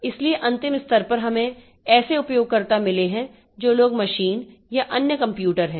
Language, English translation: Hindi, So, at the last level we have got users who are the people, machines or other computers